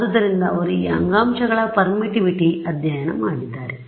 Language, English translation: Kannada, So, they have studied the permittivity of these tissues